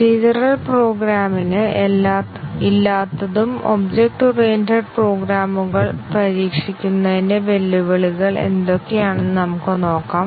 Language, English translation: Malayalam, Let us look at what are the challenges of testing object oriented programs which did not exist in procedural programs